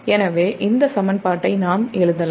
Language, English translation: Tamil, so that is this equation